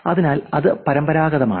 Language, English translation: Malayalam, So, that is traditional